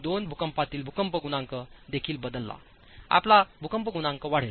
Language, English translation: Marathi, 2 factor your seismic coefficient also changes